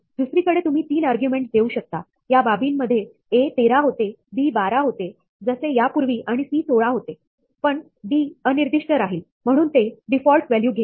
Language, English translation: Marathi, On the other hand, you might provide 3 arguments, in which case, a becomes 13, b becomes 12 as before, and c becomes 16, but d is left unspecified; so, it pick up the default value